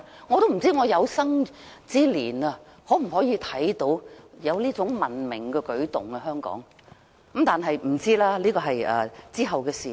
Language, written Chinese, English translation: Cantonese, 我不知我有生之年是否有機會看到香港出現這種文明的舉動，現在真的不知道，這是往後的事。, I do not know if I will be able to see this civilized step in Hong Kong during the rest of my life . At present I honestly have no idea as this is something to be decided in the future